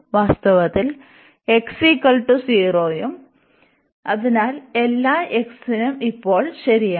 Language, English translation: Malayalam, In fact, x is equal to 0 also, so for all x this is this is true now